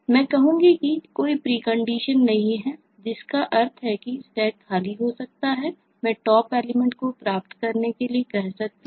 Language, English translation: Hindi, i will say that there is no precondition, so which means that the stack could be empty and i may be asking for a top